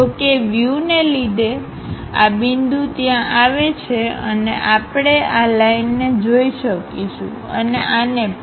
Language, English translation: Gujarati, However, because of view, this point maps there and we will be in a position to see this line and also this one